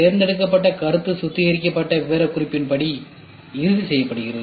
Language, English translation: Tamil, The selected concept is finalized according to the refined specification